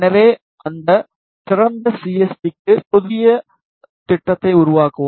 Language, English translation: Tamil, So, for that open CST, and create a new project